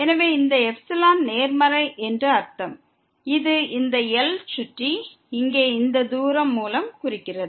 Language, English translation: Tamil, So, this epsilon positive that means, which is denoted by this distance here around this